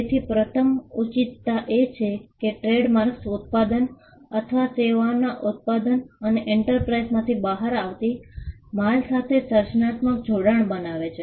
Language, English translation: Gujarati, So, the first justification is that, trademarks create creative association between the manufacturer of the product or services and with the goods that come out of the enterprise